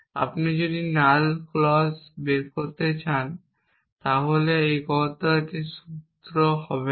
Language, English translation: Bengali, If you want to derive null clause it is not